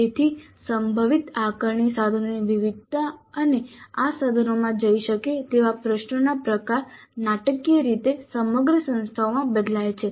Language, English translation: Gujarati, So the variation of the possible assessment instruments and the type of questions that can go into these instruments varies dramatically across the institutes